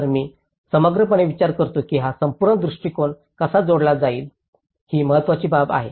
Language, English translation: Marathi, So, I think in a holistically, how one can connect this whole approach is important thing